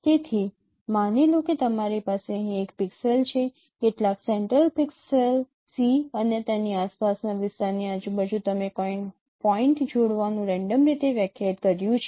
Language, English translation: Gujarati, So suppose you have a pixel here some central pixel C and around its neighborhood you have randomly defined certain pairing of points